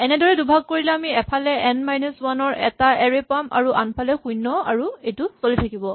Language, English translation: Assamese, The split will give us an array of n minus 1 on one side and put 0 on the other side and this keep happening